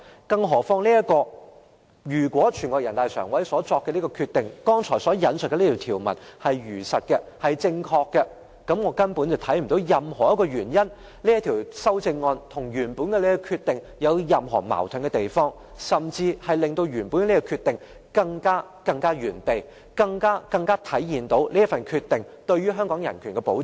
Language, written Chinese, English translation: Cantonese, 更何況，如果人大常委會所作的決定，即我剛才引述的內容，是如實和正確的話，我根本看不到這項修正案與原本的決定有任何矛盾之處，反而可以令原本的決定更完善，以及更能體現這個決定對香港人權的保障。, What is more if the Decision made by NPCSC that means the content quoted by me just now is truthful and accurate I do not see any conflict between this amendment and the original Decision at all . On the contrary it can perfect the original Decision and better manifest the protection afforded by this decision to human rights in Hong Kong